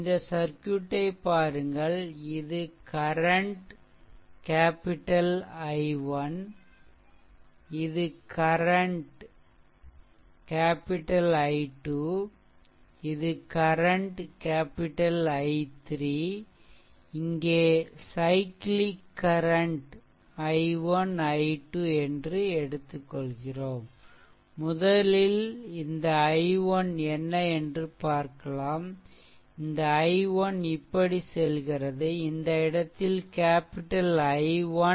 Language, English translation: Tamil, So, here if you look into the circuit, if you look into the circuit, then this current capital I 1, we have taken this is capital I 2 we have taken and this is capital I 3 we have taken, right and the and the cyclic current i 1, i 2, we have taken, this isi 1 and this is i 2, the cyclic current we have taken, right